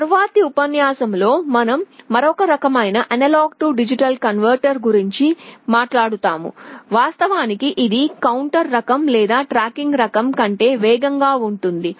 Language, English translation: Telugu, In the next lecture we shall be talking about another type of A/D converter, which in fact is faster than the counter type or the tracking type